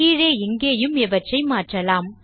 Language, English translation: Tamil, Down here, too, replace these